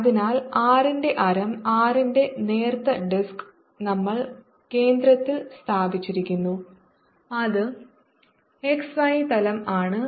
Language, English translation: Malayalam, so we are taking about a thin disc of radius r placed with the center at the origin and it's in the x y plane